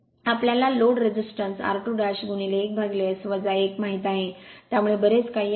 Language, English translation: Marathi, Load resistance we know r 2 dash into 1 upon S minus 1, so this much